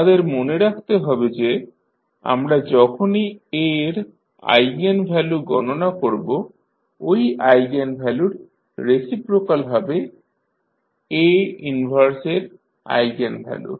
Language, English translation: Bengali, We have to keep in mind that when we calculate the eigenvalues of A the reciprocal of those eigenvalues will be the eigenvalues for A inverse